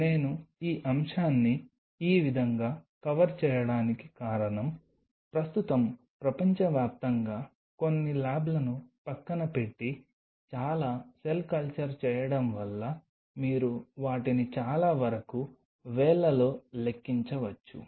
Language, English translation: Telugu, The reason I am covering this topic in this way because most of the cell culture, which is done currently across the world baring aside few labs very few means you can pretty much count them in the fingers